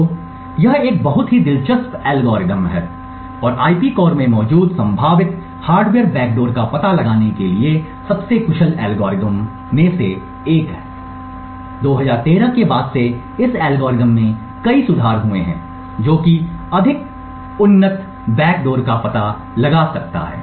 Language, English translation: Hindi, So, this is a very interesting algorithm and one of the most efficient algorithms to detect potential hardware backdoors present in IP cores and there have been various improvements over this algorithm since 2013, which could detect more advanced backdoors